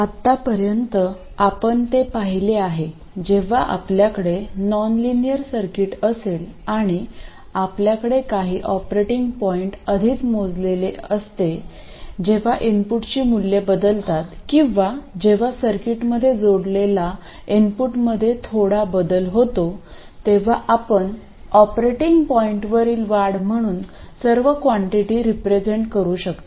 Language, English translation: Marathi, So, far we have seen that when you have a nonlinear circuit and you have a certain operating point already computed, when the values of the input change or when there is some change in the stimulus to the circuit, you can represent all quantities as increments over the operating point